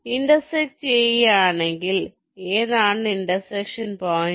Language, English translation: Malayalam, if the intersect, what is the point of intersection